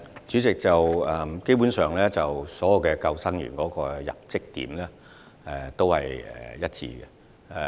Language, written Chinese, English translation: Cantonese, 主席，基本上，所有救生員的入職點是一致的。, President basically the entry point of all lifeguards is the same